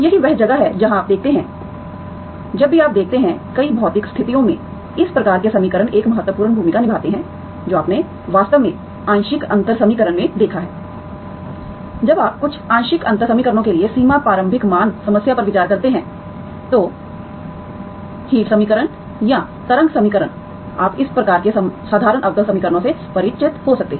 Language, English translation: Hindi, That is where you see, whenever you see, in many physical situations, these kinds of equation play an important role, that you have actually seen in the partial differential equation, when you consider boundary initial value problem for certain partial differential equations, heat equation or wave equation you may come across this kind of ordinary differential equations